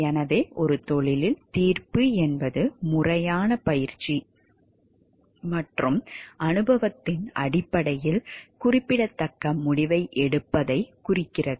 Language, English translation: Tamil, So, in a profession judgment refers to making significant decision based on formal training and experience